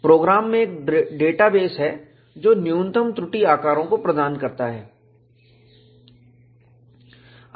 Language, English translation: Hindi, The program has a database, which provides a minimum flaw sizes